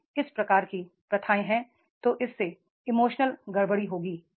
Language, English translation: Hindi, If this type of the practices are there that will make the emotional disturbances